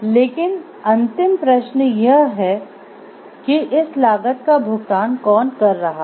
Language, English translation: Hindi, But ultimate question comes to is it who are paying for this cost